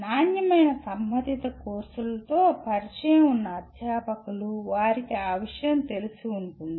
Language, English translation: Telugu, Those of the faculty who are familiar with quality related courses, they will be familiar with that